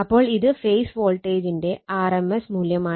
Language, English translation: Malayalam, So, it is rms value of the phase voltage